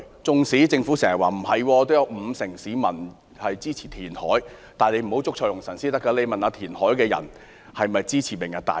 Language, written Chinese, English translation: Cantonese, 即使政府經常否認，說有五成市民支持填海，但政府不應捉錯用神，而應詢問支持填海的人是否支持"明日大嶼"。, The Government often negates this fact by saying that some 50 % of the public support land reclamation but it should not be mistaken . It should instead ask those who support land reclamation whether they support Lantau Tomorrow